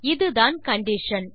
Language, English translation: Tamil, So this is the condition